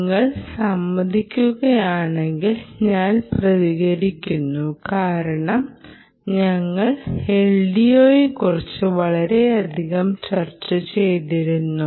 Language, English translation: Malayalam, i hope you will agree, because we have been discussing l d o so much that v